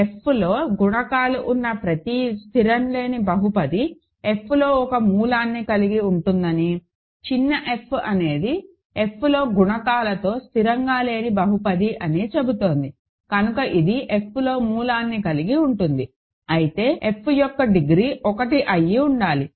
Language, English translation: Telugu, It says that every non constant polynomial with coefficients in F has a root in F, small f is a non constant polynomial with coefficients in F, so it has a root in F, but then degree of f must be 1, right